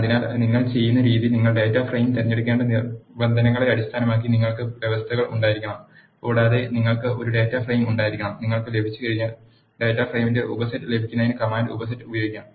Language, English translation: Malayalam, So, the way you do is you should have the conditions based on which you have to select the data frame and you should also have a data frame, once you have you can use the command subset to get the subset of data frame